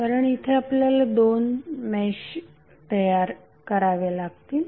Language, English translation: Marathi, Because here it is you can see that you can create two meshes